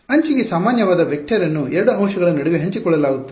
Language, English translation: Kannada, A vector which is normal to the edge, that is shared between 2 elements